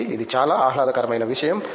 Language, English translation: Telugu, So, that was a most pleasurable thing